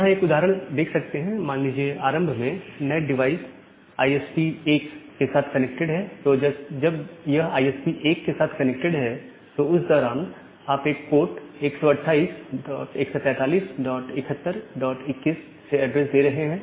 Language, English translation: Hindi, So, here is an example like say initially the NAT device was connected to ISP 1, when it was connected to ISP 1 during that time you are giving the address from a pool of 128 143 dot 71 dot 21